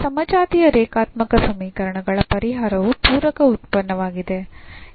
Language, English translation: Kannada, So, solution of this homogeneous linear equations the complementary function